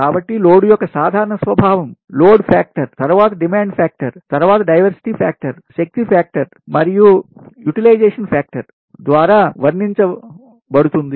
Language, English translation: Telugu, right next is that load characteristics, so general nature of load, is characterized by load factor, then demand factor, then diversity factor, power factor and utilization factor